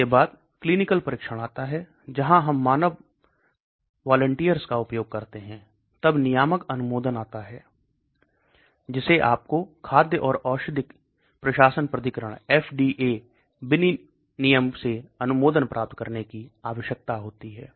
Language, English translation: Hindi, Then comes clinical trials where we use a human volunteers, then comes the regulatory approval you need to get approval from the regulating body like food and drug administration authority, and then it goes into sales and marketing